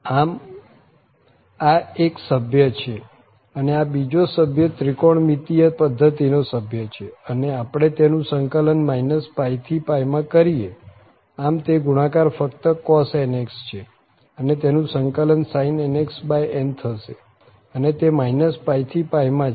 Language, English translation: Gujarati, So, this is one member and this is the another member of the of this trigonometric system and if we integrate from minus pi to pi, so it is just the product is cos nx so the integral will be sin nx over n and then minus pi to pi